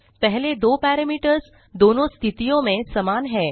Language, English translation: Hindi, The first two parameters are same in both the cases